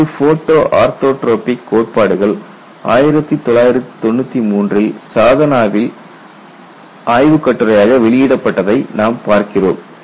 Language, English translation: Tamil, This has been achieved and the various photo orthotropic theories have appeared as a paper in Sadhana in 1993